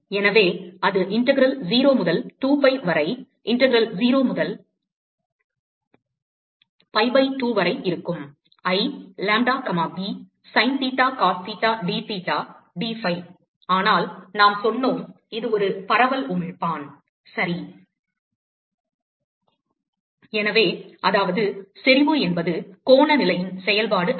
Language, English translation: Tamil, So, that will be integral 0 to 2 pi, integral 0 to pi by 2, I, lambda comma b, Sin theta Cos theta dtheta dphi, but we said that, it is a diffuse emitter right, so, which means that, the intensity is not a function of the angular position